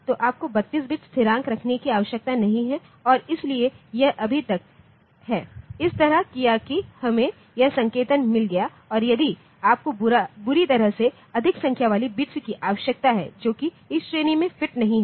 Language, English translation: Hindi, So, you do not need to have 32 bit constants and so this is so far it is done like this that we have got this notation; and if you badly need more number of bits like the numbers that are not fitted into this category